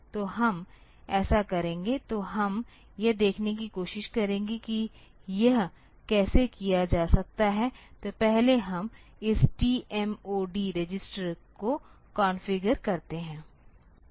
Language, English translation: Hindi, So, we will do that, so, we will let us try to see how this can be done, so first we configure this T mod register